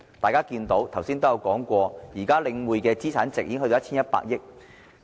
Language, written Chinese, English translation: Cantonese, 大家看到，剛才亦有議員提到，領展現在的資產值已經達到 1,100 億元。, As we can see and also as mentioned by some Members just now the present asset value of Link REIT has reached 110 billion